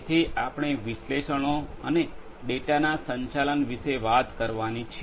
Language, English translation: Gujarati, So, we have to talk about the analytics and the management of the data